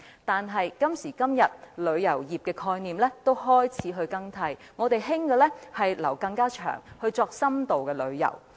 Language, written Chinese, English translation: Cantonese, 但是，旅遊業的概念已開始更替，現時流行的是逗留更長時間作深度旅遊。, However the concept of tourism has started to change . The current trend is towards staying longer in a destination for in - depth tourism